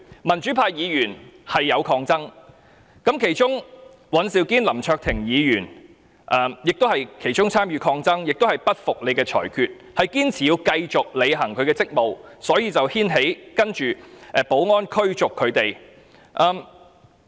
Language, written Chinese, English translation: Cantonese, 民主派議員當時是有抗爭的，其中尹兆堅議員、林卓廷議員也有參與抗爭，表示不服主席的裁決，堅持要繼續履行職務，所以才牽起接下來要保安人員驅逐他們的情況。, The pro - democracy Members had put up a fight at the time . Mr Andrew WAN and Mr LAM Cheuk - ting also took part in the fight . They refused to accept the Presidents rulings and insisted on discharging their duties thus leading to the situation where the security officers proceeded to drive them out